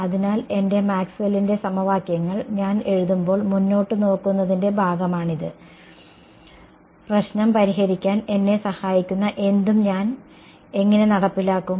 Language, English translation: Malayalam, So, this is the part of sort of looking ahead when I write down my Maxwell’s equations, how will I enforce anything what will help me to solve the problem